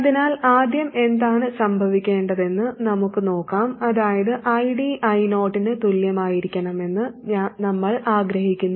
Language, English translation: Malayalam, That is, we want ID to be equal to I 0